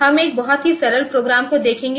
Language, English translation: Hindi, We will try to see one very simple program